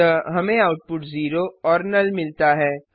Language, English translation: Hindi, So we got the output as 0 and null